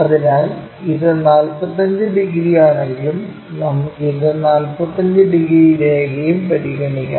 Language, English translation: Malayalam, So, if this is 45 degrees let us consider, this one also 45 degrees line, we will draw it from this point